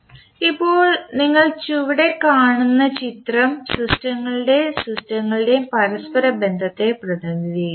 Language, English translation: Malayalam, Now, the figure which you see below will represent the interconnection of the systems and signals